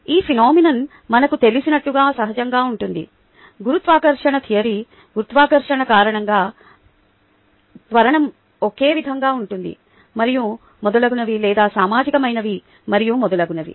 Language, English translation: Telugu, the gravitational theory, ah, gravitation, the acceleration due to gravity being the same, and so on and so forth, or social and so on, so forth